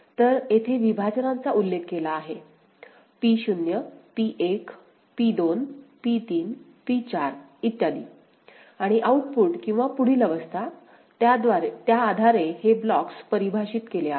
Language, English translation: Marathi, So, here the partitions have mentioned as P naught P0, P1, P2, P3, P4 etcetera alright and the output or next state based on that ok, these blocks are defined